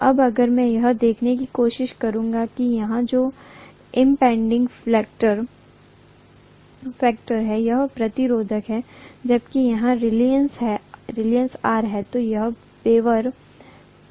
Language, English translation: Hindi, Now if I try to look at what is the impeding factor here that is resistance whereas here it is going to be reluctance, right